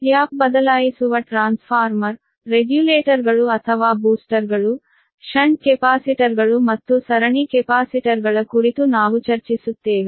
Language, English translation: Kannada, but we will discuss on tap changing transformer regulators or boosters, shunt capacitors and series capacitors